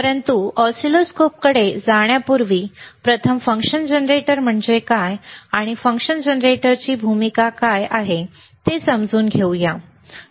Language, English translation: Marathi, But before we move to oscilloscopes, let us first understand what is the function generator is, and what is the role of function generator is, all right